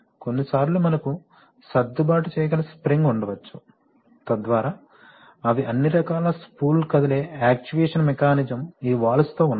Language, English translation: Telugu, Sometimes we may have an adjustable spring, so that they are all kinds of spool moving actuation mechanism are there with this valve